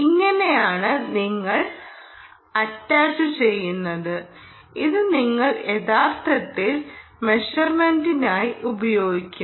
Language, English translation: Malayalam, this is how you would attach and this is how you would actually use it for measurement